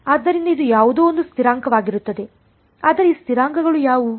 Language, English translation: Kannada, So, it is some constants, but what are those constants